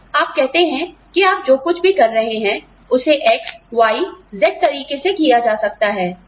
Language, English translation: Hindi, So, you say that, whatever you are doing, can be done in X, Y, Z way